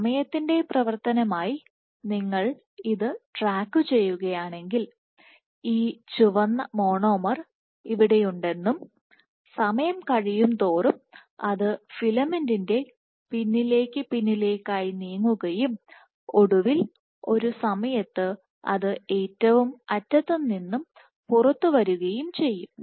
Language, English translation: Malayalam, So, if you track it as a function of time at sometime you might see that the filament that this red monomer is here and as time goes on it will get pushed back and back and finally, at one time it will come out of the last end